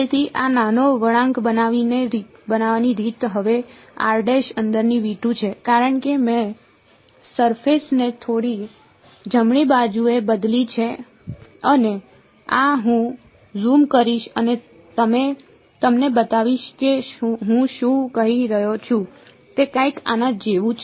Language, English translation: Gujarati, So, the way to make this small bend is now the point r prime is inside V 2 because I have changed the surface just a little bit right and this I will zoom in and show you what I am doing is something like this